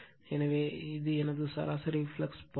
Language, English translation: Tamil, So, this is my mean flux path